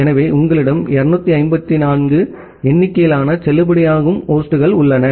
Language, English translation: Tamil, So, you have 254 number of valid hosts